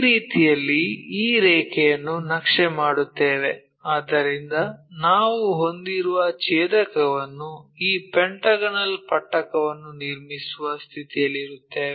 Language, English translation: Kannada, So, in this way we map these lines, map these points whatever those intersection we are having from that we will be in a position to construct this pentagonal prism